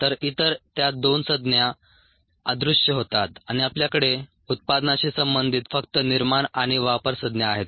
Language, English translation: Marathi, so the other the, those two terms disappear and we have only the generation and consumption terms associated with the product